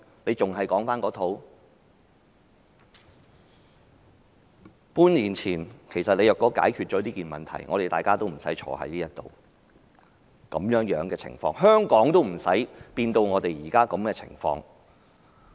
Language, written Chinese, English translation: Cantonese, 半年前，如果政府解決了問題，我們今天便不會在這裏辯論這項議案，香港也不會變成現在的情況。, Had the Government solved the problems half a year ago we would not be discussing this motion here today and Hong Kong would not have become what it is now